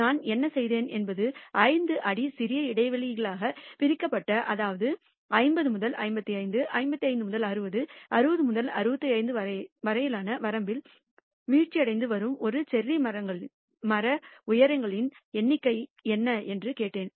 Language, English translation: Tamil, What I did was divided into small intervals of 5 feet which means I asked what are the number of cherry tree heights which are falling in the range 50 to 55, 55 to 60, 60 to 65 and so on, so forth